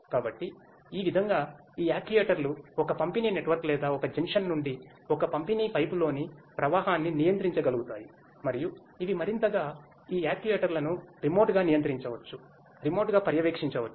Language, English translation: Telugu, So, these actuators that way will be able to control the flow in a distribution network or a distribution pipe from a junction that way and these further, these further these actuators can be controlled remotely; can be monitored remotely